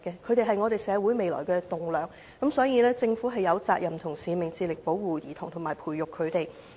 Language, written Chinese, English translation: Cantonese, 他們是社會未來的棟樑，所以政府有責任和使命致力保護及培育兒童。, They are the future pillars of society . Hence the Government has the responsibility and mission to strive to protect and nurture children